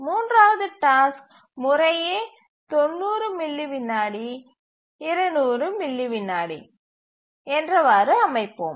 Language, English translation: Tamil, And the third task is 90 millisecond is the execution time and 200